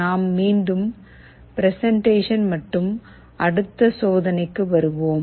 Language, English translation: Tamil, Let us again come back to our presentation and the next experiment